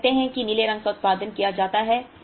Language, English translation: Hindi, Let us say the blue is produced up to this